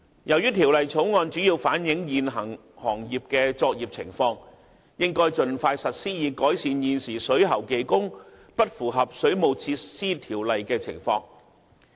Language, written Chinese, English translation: Cantonese, 由於《條例草案》主要反映現行行業的作業情況，故應該盡快實施，以改善現時水喉技工不符合《水務設施條例》的情況。, Since the Bill mainly reflects the existing situation regarding the operation of the trade it should come into operation as soon as practicable in order to bring improvements to the non - compliances of plumbing workers under WWO